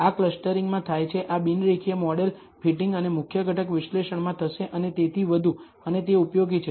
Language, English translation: Gujarati, This happens in clustering, this will happen in non linear model fitting and principal component analysis and so on and it is useful